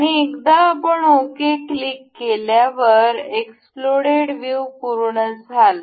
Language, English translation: Marathi, And we will once we click ok, the explode view completes